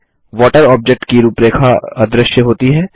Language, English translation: Hindi, The outline of water object becomes invisible